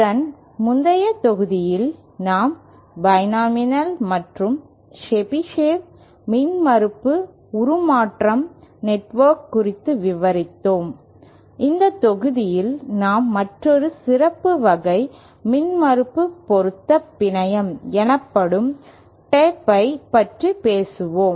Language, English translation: Tamil, In the previous module we have covered on binomial and Chebyshev impedance transformation network, in this module we shall be covering another special category of impedance matching network known as Tapers